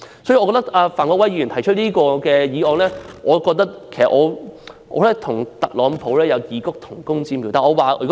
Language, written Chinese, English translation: Cantonese, 我覺得范國威議員提出這項議案，與特朗普有異曲同工之妙。, I think Mr Gary FAN bears some resemblance to Donald TRUMP in proposing this motion